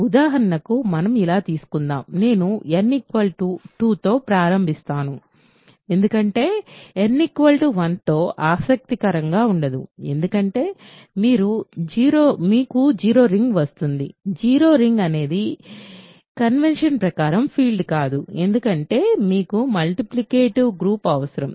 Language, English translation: Telugu, So, for example, let us take let us so, I will start with n equal to 2, because n equal to 1 is not interesting, because you get the 0 ring; 0 ring is not a field by convention you have you in a because you need multiplicative group